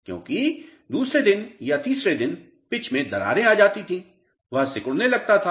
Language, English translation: Hindi, Because second day or third day pitch use to crack, it used to shrink